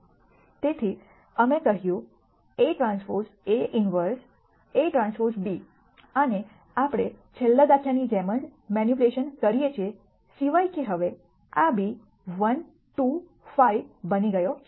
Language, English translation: Gujarati, So, we said x equal to a transpose A inverse A transpose b and we do the same manipulation as the last example except that this b has become 1 2 5 now